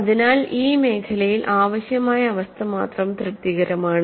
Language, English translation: Malayalam, So, in this zone, only the necessary condition is satisfied